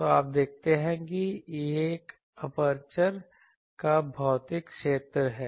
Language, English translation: Hindi, So, you see this is physical area of the aperture